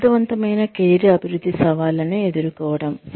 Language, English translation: Telugu, Meeting the challenges of effective career development